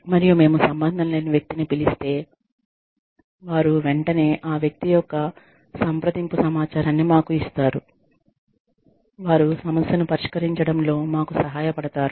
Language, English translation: Telugu, And even, if we call the person, who is not concerned, they will immediately give us the contact information of the person, who is going to help us resolve the issue